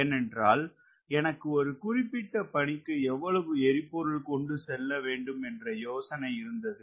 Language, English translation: Tamil, i have an idea how much fuel have to carry for a particular mission